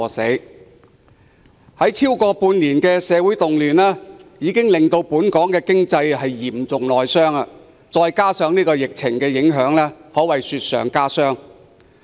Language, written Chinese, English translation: Cantonese, 持續了超過半年的社會動亂，已經令本港經濟嚴重內傷，加上疫情的影響，可謂雪上加霜。, After the social riots that lasted more than six months the hard - hit economy of Hong Kong suffers another blow from the virus outbreak